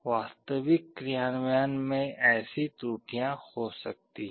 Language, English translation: Hindi, Such errors may be there in an actual implementation